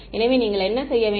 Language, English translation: Tamil, So, what should you do